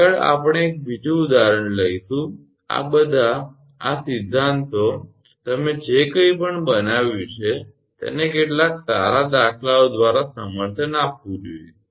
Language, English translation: Gujarati, Next, we will take another example this all these theory whatever you have made it is has to be supported by some good numericals right